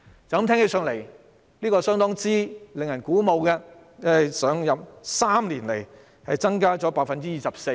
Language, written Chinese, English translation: Cantonese, "驟耳聽來，相當令人鼓舞，經常開支在3年內增加了 24%。, It sounds quite encouraging . The recurrent expenditure has increased by 24 % within three years